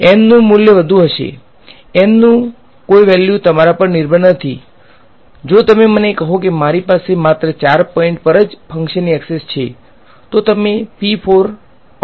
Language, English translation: Gujarati, Value of N will be high, no value of N is up to you; if you tell me that I whole I have access to the function only at 4 points then you will create p 4 x